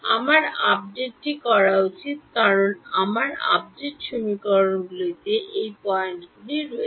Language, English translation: Bengali, I should do my update because my update equation has all of these points in it